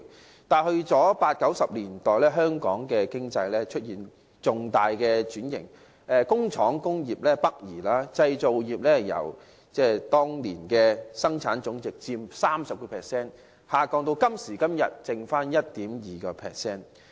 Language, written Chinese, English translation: Cantonese, 可是，到了1980、1990年代，香港經濟出現重大轉型，工廠及工業北移，製造業由當年佔本地生產總值約 30%， 下降至今時今日只剩下 1.2%。, However the Hong Kong economy underwent major restructuring in the 1980s and 1990s with factories and industrial production relocated to the Mainland . The proportion of manufacturing industry in our GDP has dropped from about 30 % back then to only 1.2 % today